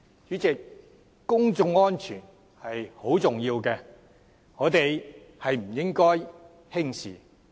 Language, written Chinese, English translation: Cantonese, 主席，公眾安全很重要，我們不應輕視。, President public safety is vital and we should not underrate its importance